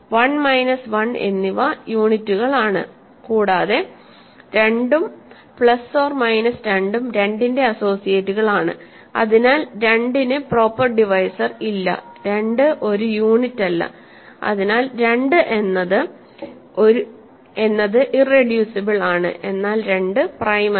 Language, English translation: Malayalam, 1 and minus 1 are units, and 2 and plus minus plus minus 2 are associates of 2, hence 2 has no proper divisors and 2 is not a unit, so 2 is irreducible